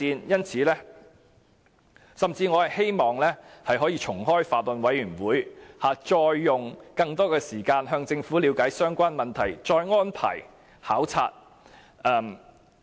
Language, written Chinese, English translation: Cantonese, 我甚至希望可以重開法案委員會，再用更多時間向政府了解相關問題，再安排考察。, I even hope that the Bills Committee can be reactivated so that we can have more time to obtain more information from the Government and arrange for inspections